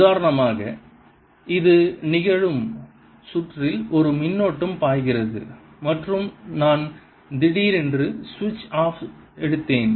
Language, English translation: Tamil, this would happen, for example, if in the circuit there was a current flowing and i suddenly took switch off